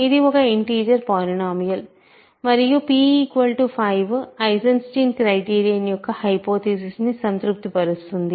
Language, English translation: Telugu, So, this is a, this is an integer polynomial, then p equal to 5 satisfies the hypothesis of the Eisenstein criterion, right